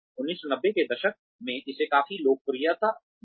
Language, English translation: Hindi, It came substantial popularity in the 1990